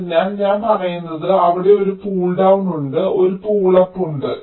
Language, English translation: Malayalam, so what i am saying is that the there is a pull down, there is a pull up